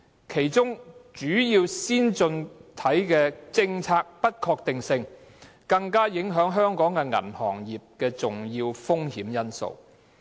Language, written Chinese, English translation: Cantonese, 其中主要先進經濟體的政策不確定性更是影響香港銀行業的重要風險因素。, In particular policy uncertainties in major advanced economies are one important risk factor affecting the Hong Kong banking sector